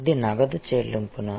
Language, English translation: Telugu, Is it cash payment